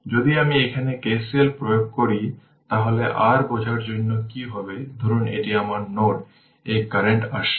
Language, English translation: Bengali, If you apply K C L here, so what will happen for your understanding suppose this is my this node right this current is coming